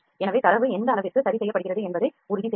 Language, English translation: Tamil, So, this is at what degree does the data gets corrected